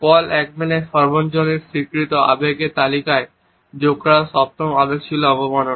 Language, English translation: Bengali, The seventh emotion which was added to the list of universally acknowledged emotions by Paul Ekman was contempt